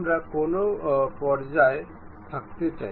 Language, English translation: Bengali, Up to which level we would like to have